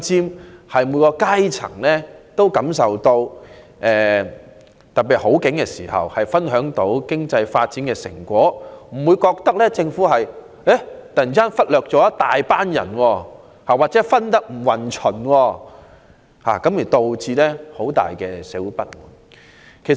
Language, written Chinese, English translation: Cantonese, 特別是在經濟好景時，須讓每一階層均能分享經濟發展的成果，不會讓人感到政府忽略了一大群人或分配不均，因而引起社會不滿。, In particular efforts should be made to make sure that all classes in society can share the fruit of economic development at time of economic prosperity so as to avoid giving people the perception that a certain social group has been neglected by the Government due to uneven distribution of resources thus leading to social discontent